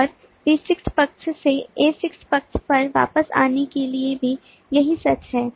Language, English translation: Hindi, and the same is true from the b6 side, coming back to the a6 side